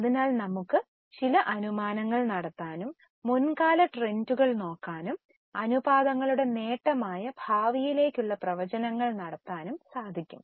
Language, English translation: Malayalam, So, we can make certain assumptions, look for the past trends and make the projections for the future, that's an advantage of the ratios